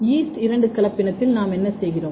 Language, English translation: Tamil, So, in yeast two hybrid, what we are doing